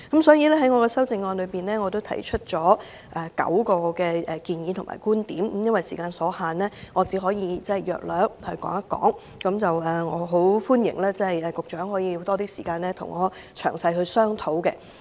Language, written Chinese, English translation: Cantonese, 所以，我的修正案提出了9項建議及觀點，由於時間所限，我只能簡述各點，歡迎局長花多點時間與我詳細商討。, Hence I put forth nine proposals or viewpoints in my amendment . Due to the limited time I will only go through each of them briefly and I welcome the Secretary to spend more time on discussing with me in detail